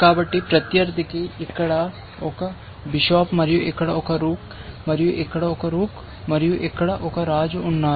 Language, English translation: Telugu, So, opponent has for example, a bishop here and a rook here, and a rook here, and a king here